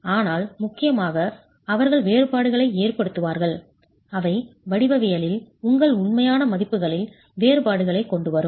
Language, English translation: Tamil, But importantly, they would make differences, they would bring about differences in your actual values in the geometry